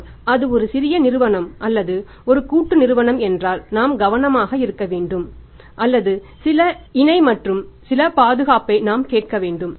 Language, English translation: Tamil, But if it is a small company or a partnership firm we have to be careful or we should ask for some collateral and some security